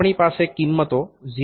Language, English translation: Gujarati, So that means, 0